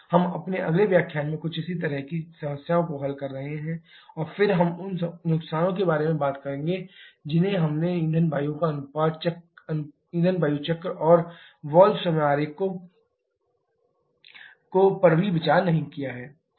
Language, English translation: Hindi, We shall be solving couple more similar problems in our next lecture and then we shall we talking about those losses which we have not considered fuel air cycle and also the valve timing diagram